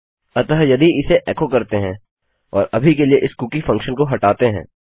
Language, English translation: Hindi, So if I echo this out and get rid of this cookie function for now